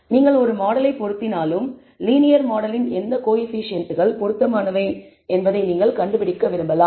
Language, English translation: Tamil, Then even if you fit a model you may want to find out which coefficients of the linear model are relevant